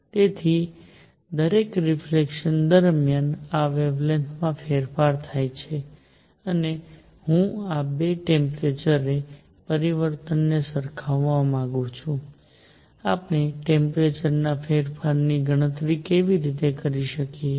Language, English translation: Gujarati, So, during each reflection this is the change in the wavelength and I want to relate this 2 the temperature change; how do we calculate the temperature change